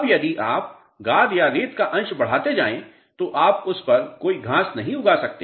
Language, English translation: Hindi, Now, if you keep on adding more and more silt and sand fraction you cannot grow any grass over it